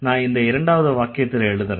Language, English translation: Tamil, I'm going to write the sentence here